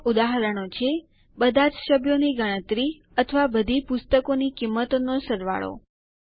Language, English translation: Gujarati, Some examples are count of all the members, or sum of the prices of all the books